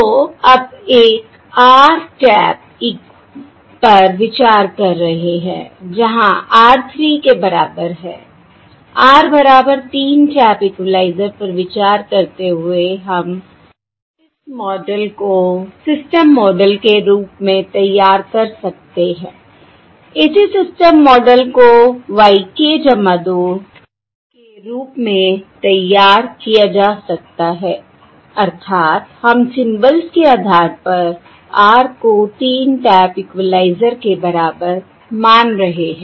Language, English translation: Hindi, So now, considering an r tap eq, where the r equal to 3, considering an r equal to 3, an r equal to 3 tap equalizer, we can formulate this model as the model, corresponding system model can be formulated as the corresponding system model can be formulated as yk plus 2, that is, weíre considering an r equal to 3 tap equalizer, based on the symbols